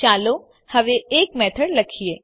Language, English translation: Gujarati, Let us now write a method